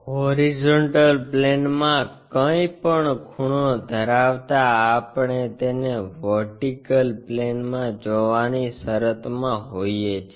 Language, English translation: Gujarati, Anything inclined to horizontal plane we can be in a position to see it in the vertical plane